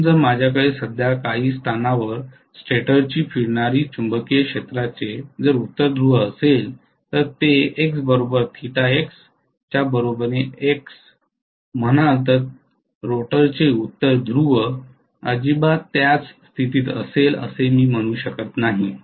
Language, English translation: Marathi, So if I am having a north pole of you know the stator revolving magnetic field currently at some position say X equal to theta equal to X, I cannot say the north pole of rotor will be at the same position not at all yeah